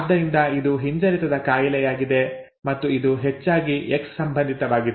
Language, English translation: Kannada, Therefore it is a recessive disorder and it is most likely X linked